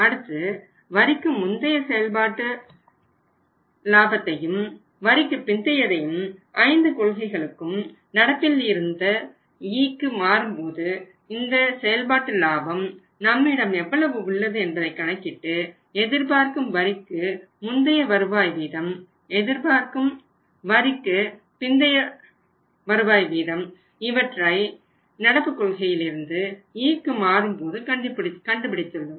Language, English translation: Tamil, Then we have calculated the incremental operating profit before tax and after tax over the stage this 5 policies from current to A, current to E current through this operating profit is available with us and the next calculations we have calculated the say expected rate of return before tax from the policy current to E and expected rate of return after tax where we move from policy current to E